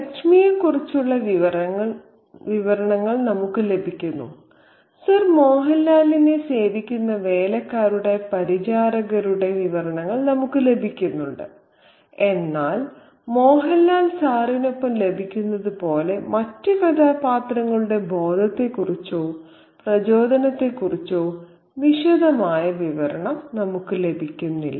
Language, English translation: Malayalam, We get descriptions of Lakshmi, we get descriptions of the servants, the bearers who serves Mohan Lal, but we do not get a detailed narrative about the consciousness or the motivations of the other characters just as we get with Sir Mohan Lal